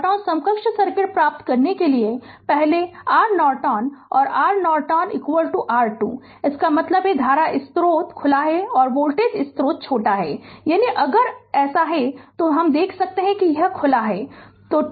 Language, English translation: Hindi, To get the Norton equivalent circuit first what you do R Norton R Norton is equal to R thevenin; that means, current source is open and voltage source is shorted right; that means, if you if you now if it is like this, then you can see that this is open